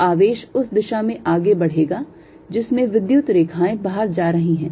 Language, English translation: Hindi, so a charge will tell to move in the direction where the field lines are going out